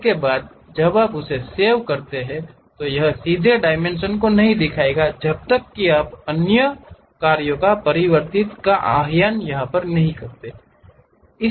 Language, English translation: Hindi, Thereafter, when you save that, it would not directly show the dimensions unless you convert or invoke other built in functions